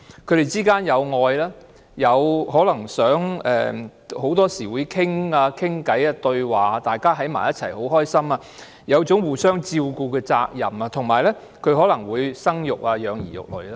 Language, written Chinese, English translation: Cantonese, 他們之間有愛，很多時候會溝通交談，大家在一起時會很開心，有一種互相照顧的責任，以及他們可能會生育和養兒育女。, Very often they communicate and talk to each other . They feel happy together and have a responsibility to care for each other . Moreover they may give birth to and raise children